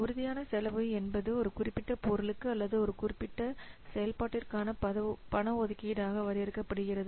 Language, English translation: Tamil, So, tangible cost is defined as an outlay of the cash for a specific item or for a specific activity